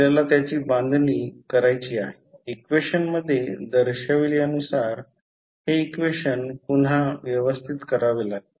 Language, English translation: Marathi, We have to construct, we have to rearrange this equation as shown in this equation